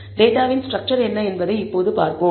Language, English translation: Tamil, Let us now see what the structure of the data is